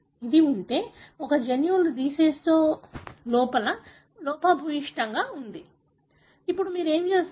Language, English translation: Telugu, If this is, one of the gene is defective in a decease, now what you will do